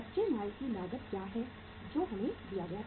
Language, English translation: Hindi, What is the cost of raw material that is given to us was